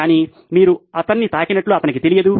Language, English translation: Telugu, But he doesn’t know that you have touched him